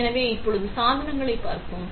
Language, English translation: Tamil, So, let us see the devices now